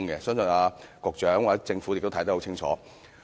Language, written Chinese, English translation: Cantonese, 相信局長及政府也知道得很清楚。, I believe the Secretary and the Government are well aware of this too